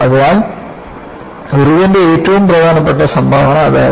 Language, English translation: Malayalam, So, that was the very important contribution by Irwin